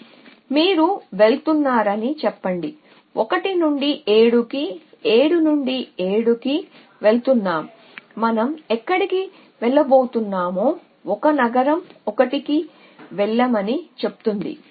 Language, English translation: Telugu, So, this say you are going to 7 from 1, we a going to 7 then from 7 where are we going to go 1 city says go to 1